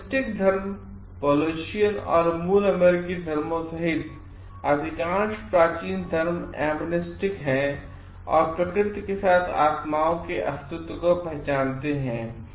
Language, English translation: Hindi, Animistic religions, most ancient religions including Polynesian and native American religions are animistic and recognize the existence of spirits with nature